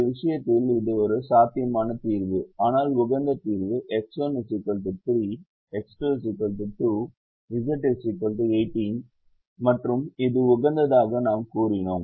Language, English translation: Tamil, but the optimum solution is x one equal to three, x two equal to two, z equal to eighteen, and we said it is optimum